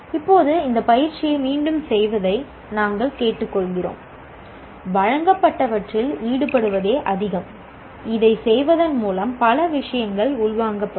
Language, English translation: Tamil, Now we request you again doing this exercise more to engage with what has been presented and by doing this many of these things will be internalized